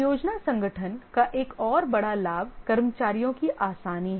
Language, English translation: Hindi, Another big advantage of the project organization is ease of staffing